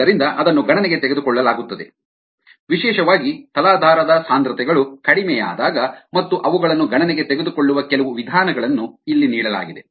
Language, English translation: Kannada, so that is taken into account, especially when the substrate concentrations are low, and ah, some base of taking them into account, have be given here